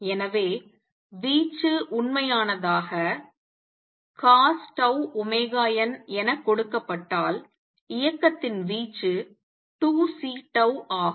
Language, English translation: Tamil, So, the amplitude if the real cosine tau omega t is taken the amplitude of motion is 2 C tau